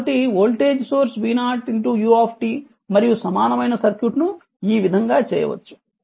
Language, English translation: Telugu, So, this way you can make it so voltage source v 0 u t and it is equivalent circuit